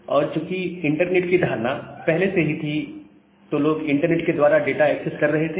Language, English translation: Hindi, And the notion of internet was already there, people were accessing data over the internet